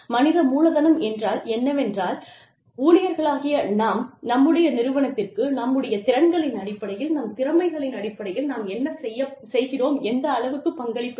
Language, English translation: Tamil, Human capital is, what, we as employees, contribute to our organization, in terms of our skills, in terms of our talents, in terms of what we do